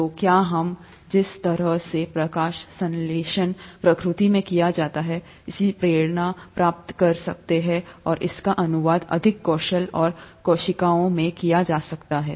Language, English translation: Hindi, So can we get inspiration from the way photosynthesis is done in nature, and translate it to more efficient solar cells